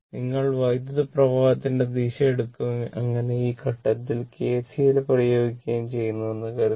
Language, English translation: Malayalam, Suppose ah the way you take the direction of the current and accordingly you apply KCL at this point right